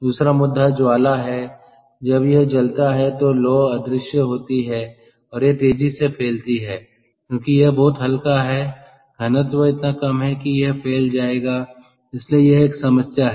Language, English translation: Hindi, when it burns, the flame is invisible and it spreads rapidly, because this is very light, right, the density is so low that it will spread, so that is a problem